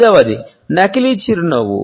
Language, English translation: Telugu, Number 5, fake smile, grin